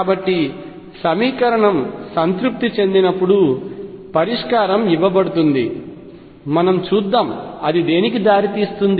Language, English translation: Telugu, Then the solution is given by wherever these equations is satisfied, but let us get an idea as to what solution would look like